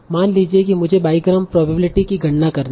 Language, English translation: Hindi, Now, suppose I have to compute the probability, biogram probability